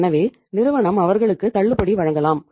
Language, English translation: Tamil, So the firm can say offer them discount